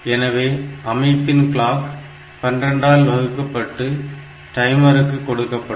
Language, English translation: Tamil, So, the system clock is divided by 12 to get the clock reaching the timer